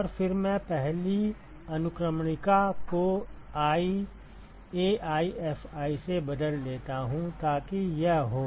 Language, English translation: Hindi, And then I replace the first index with i AiFi so that is it